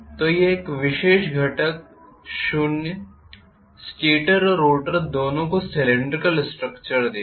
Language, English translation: Hindi, So this particular component will be equal to zero give both stator and rotor have cylindrical structure